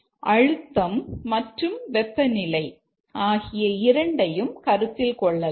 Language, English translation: Tamil, Let's say let's consider these two, pressure and temperature